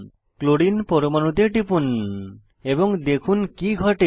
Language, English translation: Bengali, Click on Chlorine atom and observe what happens